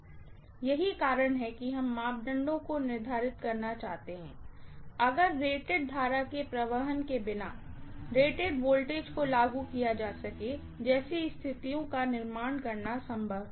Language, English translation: Hindi, That is the reason why we would like to determine the parameters, if it is possible by creating situations like applying rated voltage without really passing rated current